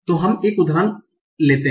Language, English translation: Hindi, So let's take an example